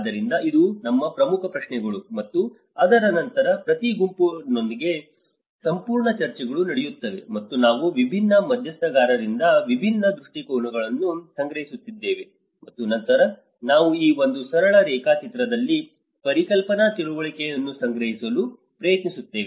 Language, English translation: Kannada, So this was our main important questions and after that is the thorough discussions happen within each groups, and we are collecting different viewpoints from different stakeholders, and then we try to compile in this one simple diagram a conceptual understanding